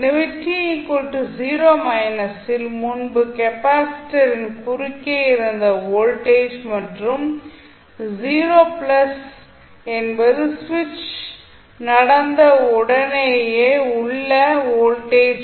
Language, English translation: Tamil, So, when 0 minus is the voltage across capacitor just before the switching happens and 0 plus is the voltage immediately after the switching happened